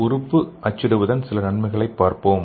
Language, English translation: Tamil, So let us see what is organ printing